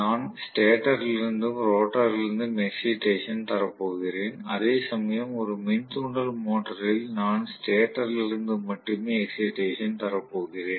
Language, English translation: Tamil, I am going to give excitation, both from the stator as well as rotor whereas in an induction motor I am going to give excitation only from the stator